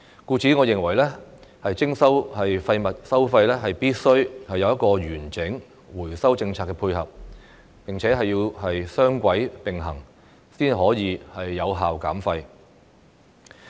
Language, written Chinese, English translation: Cantonese, 故此，我認為徵收廢物收費，必須有完整的回收政策配合，雙軌並行，才可以有效減廢。, Therefore I think waste charging should be complemented by a comprehensive recycling policy and only under a two - pronged approach can effective waste reduction be achieved